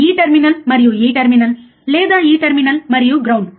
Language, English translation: Telugu, This terminal and this terminal or this terminal and ground